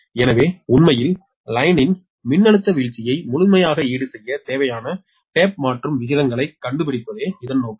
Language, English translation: Tamil, right, and so actually its objective is to find out the tap changing ratios required to completely compensate for the voltage drop in the line right